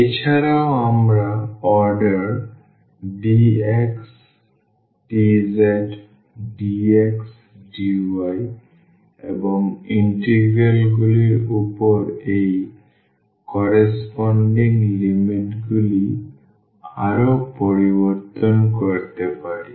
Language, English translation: Bengali, Also we can further change like the order dx dz dx dy and that corresponding limits will against it over the integrals